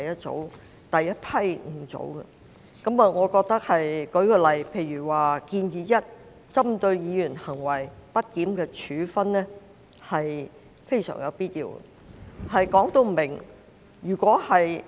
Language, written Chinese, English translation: Cantonese, 這些修訂例如"建議 1： 針對議員行為極不檢點的處分"，均屬非常有必要訂定的明文規定。, It is absolutely necessary to expressly provide for the requirements under these amendments such as Proposal 1 Sanction against grossly disorderly conduct of Members